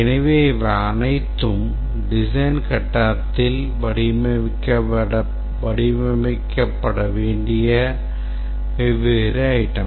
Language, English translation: Tamil, So, these are all the different items that must be designed during the design phase